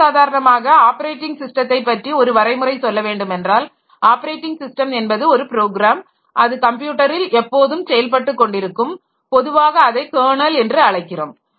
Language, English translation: Tamil, A more common definition and the one that we usually follow is that the operating system is the one program running at all times on the computer usually called the kernel